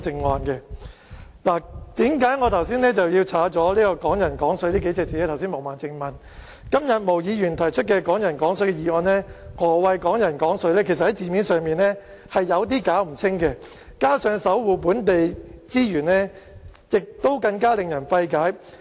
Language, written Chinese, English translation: Cantonese, 毛孟靜議員剛才問，為何我刪除"港人港水"數個字，今天毛議員提出"港人港水"的議案，何謂"港人港水"其實在字面上已經有點不清不楚，加上"守護本地資源"更令人費解。, Ms Claudia MO asked earlier why I had deleted the phrase Hong Kong people using Hong Kong water . As regards the motion on Hong Kong people using Hong Kong water moved by Ms Claudia MO today the meaning of Hong Kong people using Hong Kong water is in fact somewhat ambiguous literally . In addition the phrase protecting local resources is incomprehensible